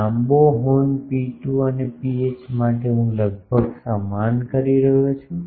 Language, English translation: Gujarati, For long horns rho 2 and rho h this I am approximately saying same